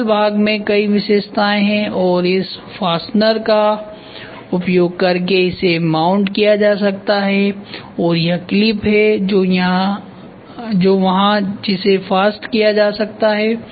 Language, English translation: Hindi, The single part has multiple features and this can be mounted by using this fastener and this is the clip which is there which can be fastened